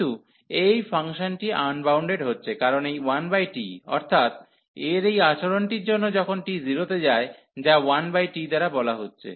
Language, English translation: Bengali, So, this function is getting unbounded, because of this 1 over t so that means this behavior when t approaching to 0 is said by this 1 over t